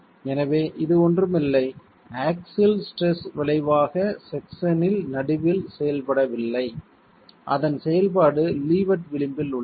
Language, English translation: Tamil, So it's not something the axial stress resultant is not acting at the middle of the section, it's acting at the leverage